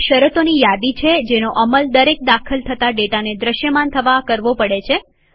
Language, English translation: Gujarati, A filter is a list of conditions that each entry has to meet in order to be displayed